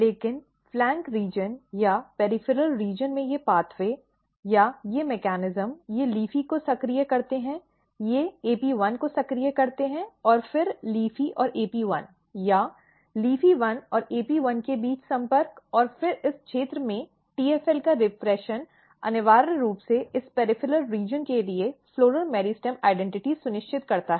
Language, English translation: Hindi, But at the flank region or at the peripheral region these pathway or these mechanisms they activate LEAFY, they activate AP1 and then LEAFY and AP1 or interaction between LEAFY1 and AP1; and then repression of TFL in this region essentially ensures floral meristem identity to this peripheral region